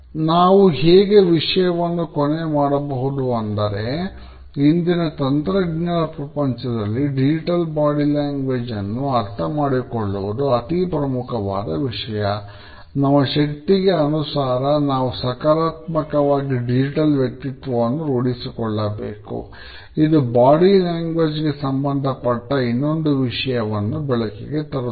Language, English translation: Kannada, So, we can conclude by saying that in today’s technological world, the understanding of Digital Body Language is important